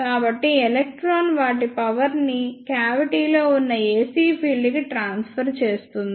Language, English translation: Telugu, So, this is how the electron transfer their energy to the ac field present in the cavity